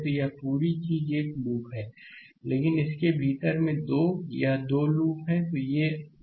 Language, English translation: Hindi, So, this whole thing is a loop, but within that also 2, this 2 loops are there